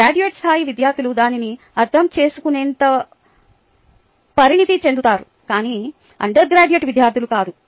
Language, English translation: Telugu, the students are mature enough to pick it up, but not the undergraduate students